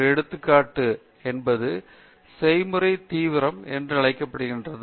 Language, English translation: Tamil, And one example is something called Process intensification